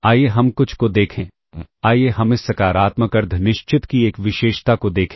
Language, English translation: Hindi, Let us look at some, let us look at a property of this positive semi definite